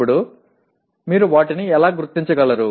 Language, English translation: Telugu, Now, how do you locate them